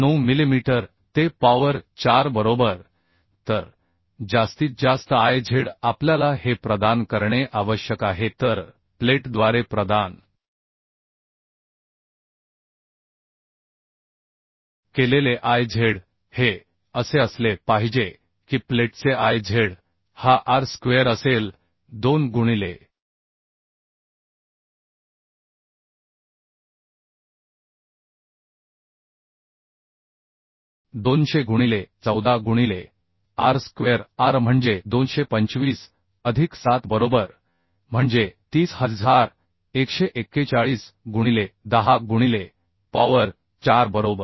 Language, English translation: Marathi, 9 millimetre to the power 4 right So maximum Iz we need to provide this so Iz provided by plate has to be this one that is Iz of plate will be Ar square say 2 into 200 into 14 into r square r means 225 plus 7 right that is 30141 into 10 to the power 4 right So total Iz of the built up section will be the Iz of ISHB 450 plus Iz of plate that means that is 40349